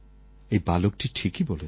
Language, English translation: Bengali, This child is absolutely right